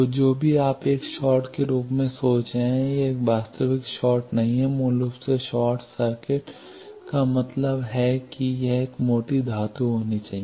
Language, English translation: Hindi, So, whatever you are thinking as a short, it is not a actual short basically short circuit means it should be a thick metal